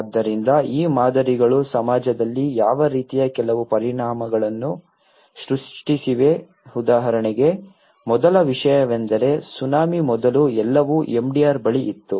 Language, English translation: Kannada, So, these patterns have what kind of created some impacts in the society like for instance first thing is before the tsunami everything was near MDR